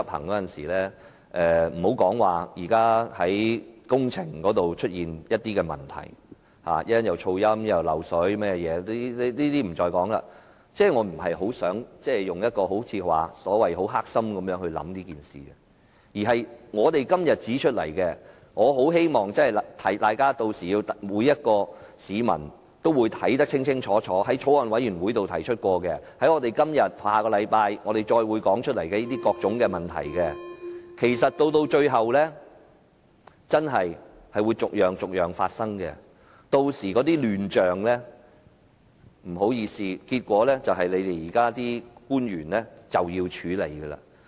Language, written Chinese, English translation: Cantonese, 且不說現時工程上已經出現的問題，包括噪音、滲水等，我不想以所謂很"黑心"的態度對待此事，我只希望提醒大家，每位市民均會看得十分清楚，我們在法案委員會曾提出的問題，以及我們今天和下星期繼續提出的各項問題，其實最後真的會逐一發生，屆時的亂象，不好意思，結果須由現時的官員處理。, I do not wish to treat this matter with an evil mind so to speak . I just wish to remind Members that every member of the public will see clearly that the problems we have raised in the Bills Committee and various others which we continue to raise today and will continue to do so next week will indeed arise one after another eventually . By that time the chaos will regrettably have to be handled by the incumbent officials in the end